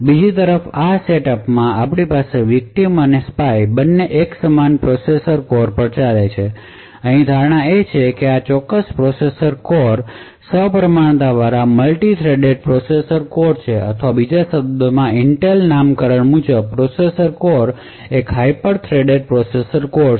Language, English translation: Gujarati, In this setup on the other hand we have both the victim and the spy running on the same processor core, the assumption over here is that this particular processor core is a symmetrically multi threaded processor core or in other words when using the Intel’s nomenclature this processor core is a hyper threaded processor core